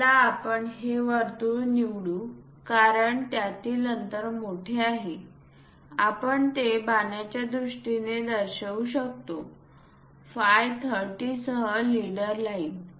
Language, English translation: Marathi, Let us pick this circle because this gap is large one can really show it in terms of arrow, a leader line with phi 30